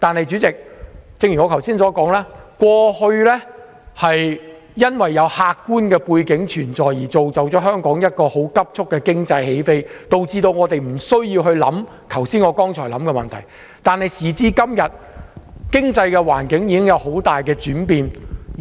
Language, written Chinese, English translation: Cantonese, 主席，正如我剛才所說，過去因為客觀的背景造就了香港急速的經濟起飛，以致我們不需要考慮剛才我所說的問題，但時至今日，經濟環境已經有很大轉變。, Chairman as I said just now the objective background in the past had enabled the rapid economic take - off of Hong Kong and so we do not have to consider the problems which I mentioned . However the economic situations have changed a lot nowadays